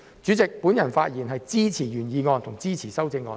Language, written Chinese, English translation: Cantonese, 主席，我發言支持原議案和修正案。, President I speak in support of the original motion and its amendment